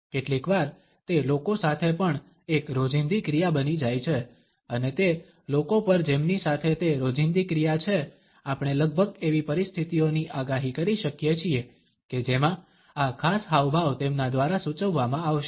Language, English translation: Gujarati, Sometimes it becomes a habitual action also with people, and over those people with whom it is a habitual action, we can almost predict situations in which this particular gesture would be indicated by them